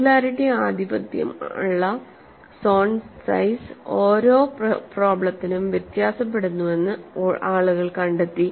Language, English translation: Malayalam, People have found out at singularity dominated zone, size varies from problem to problem